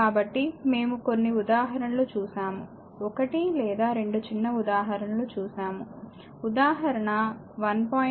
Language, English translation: Telugu, So, we have seen few examples some one or two more we will see small example